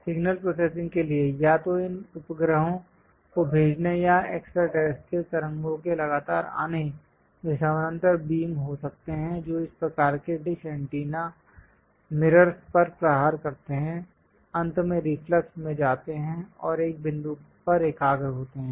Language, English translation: Hindi, For signal processing, either these satellites sending or from extraterrestrial waves are continuously coming; they might be parallel beams which strike this parabolic kind of dish antennas mirrors, goes finally in reflux and converge to one point